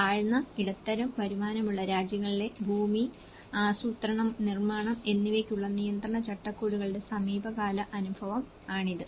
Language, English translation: Malayalam, Recent experience of regulatory frameworks for land, planning and building in low and middle income countries